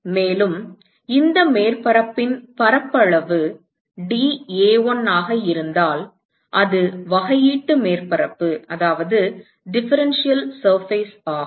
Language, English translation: Tamil, And if the area of this surface is dA1, so that is a differential surface